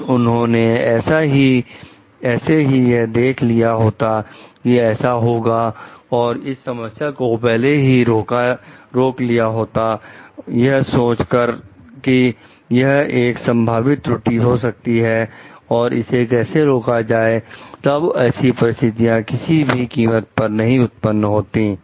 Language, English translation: Hindi, If they would have foreseen like this could happen and could have arrested for this problem beforehand like thinking like this could be the possible errors happening and how to arrest for this problem then this situation would not have happened at all